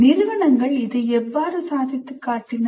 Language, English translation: Tamil, And the institutions, how did they achieve this